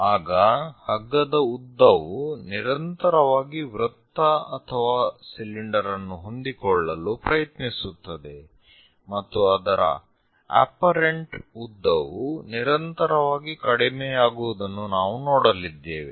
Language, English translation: Kannada, The rope length continuously it try to own the circle or cylinder and the length whatever the apparent length we are going to see that continuously decreases